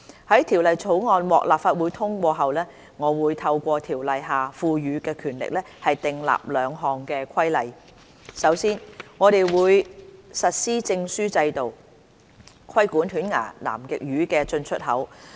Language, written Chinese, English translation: Cantonese, 在《條例草案》獲立法會通過後，我會透過《條例》下賦予的權力，訂立兩項規例：首先，我們會實施證書制度，規管犬牙南極魚的進出口。, After the passage of the Bill by the Legislative Council I will make two regulations by virtue of the powers conferred by the ordinance Firstly we will implement the Catch Documentation Scheme to regulate the import and export of toothfish